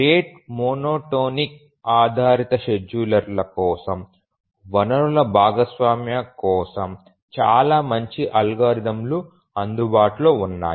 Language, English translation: Telugu, We will see that for the rate monotonic best schedulers, very good algorithms are available for resource sharing